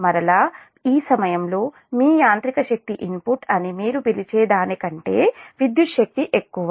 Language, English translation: Telugu, then again, at this point, that electrical power is more than your, what you call that, your mechanical power input